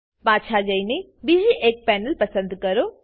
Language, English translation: Gujarati, Go back and choose another Panel